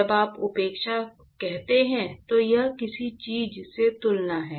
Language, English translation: Hindi, When you say neglect, it is actually in comparison with something